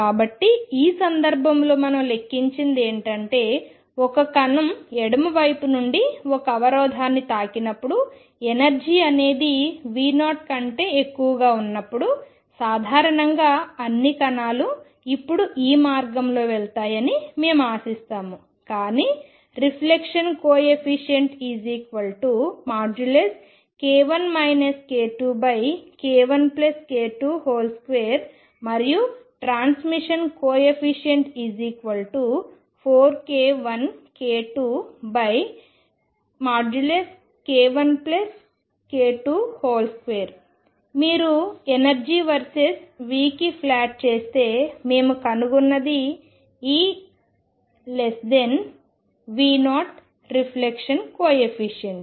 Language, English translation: Telugu, So, what we have calculated is in this case when a particle is going from the left hitting a barrier and the energy is such that this is greater than V 0 classical if we would expect that all the particles will go this below what we find now is that there is a reflection coefficient which is equal to k 1 minus k 2 over k 1 plus k 2 whole square and the transmission coefficient which is four k 1 k 2 over k 1 plus k 2 square if you plot these against the energy versus V then what we find is if e is less than V 0 the reflection coefficient